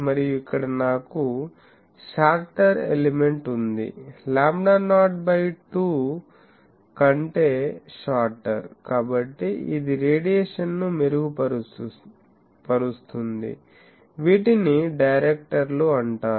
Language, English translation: Telugu, And here I have a shorter element, shorter than lambda not by 2, so this one will improve the radiation, these are called directors